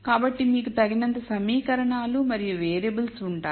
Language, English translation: Telugu, So, you will have enough equations and variables